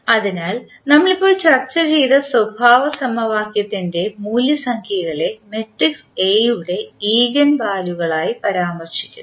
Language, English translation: Malayalam, So, the roots of the characteristic equation which we just discuss are refer to as the eigenvalues of the matrix A